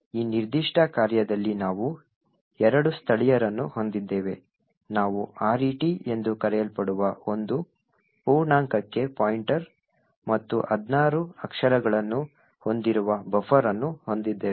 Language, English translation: Kannada, So, in this particular function we have two locals we have pointer to an integer which is known as RET and a buffer which is of 16 characters